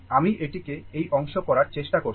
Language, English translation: Bengali, Just I am trying to make it this part, right